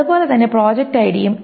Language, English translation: Malayalam, So is project ID